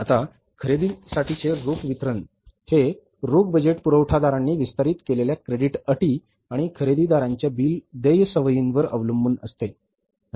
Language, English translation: Marathi, Now, cash budget, that is a cash disbursements for the purchases depend on the credit terms extended by the suppliers and build payment habits of the buyers